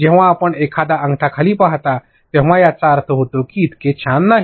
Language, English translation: Marathi, When you see a thumbs down, it will mean no so cool